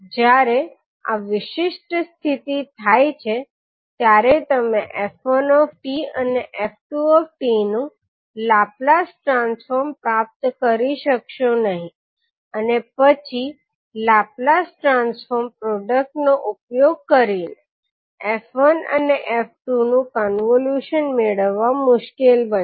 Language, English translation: Gujarati, So when this particular condition happens you will not be able to get the Laplace transform of f1t and f2t and then getting the convolution of f1 and f2 using the Laplace transform product, would be difficult